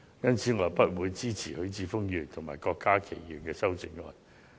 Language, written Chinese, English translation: Cantonese, 因此，我不會支持許智峯議員及郭家麒議員的修正案。, Hence I will not support the amendments proposed respectively by Mr HUI Chi - fung and Dr KWOK Ka - ki